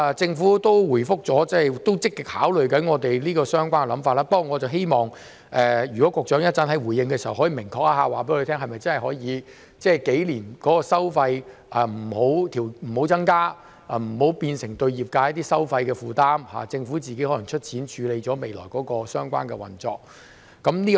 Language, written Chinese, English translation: Cantonese, 政府亦有回覆表示，正積極考慮我們這個想法，不過我希望局長稍後回應時，可以明確告訴我們，相關收費是否數年都可以不增加，以免對業界造成收費的負擔，政府可能自行出錢處理未來相關的運作。, The Government has replied that it is actively considering our idea but I hope that the Secretary can tell us clearly in his reply later whether it is possible not to increase the relevant fees for the next few years to avoid imposing a burden on the industry and that the Government may provide funding for the relevant operation in the future